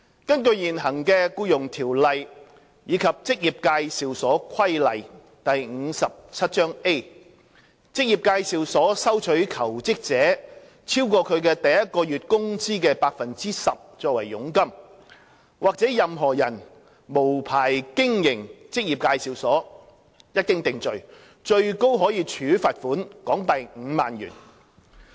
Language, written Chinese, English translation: Cantonese, 根據現行的《僱傭條例》及《職業介紹所規例》，職業介紹所收取求職者超過其第一個月工資的 10% 作為佣金，或任何人無牌經營職業介紹所，一經定罪，最高可處罰款港幣5萬元。, According to the existing Ordinance and the Employment Agency Regulations Cap . 57A if an EA receives from a job - seeker a commission exceeding 10 % of his or her first months wages or if a person operates an EA without a licence it is liable to a maximum fine of HK50,000 upon conviction